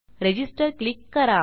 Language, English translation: Marathi, Lets click in register